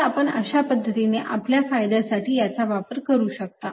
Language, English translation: Marathi, so this is how you can use it powerfully to your advantage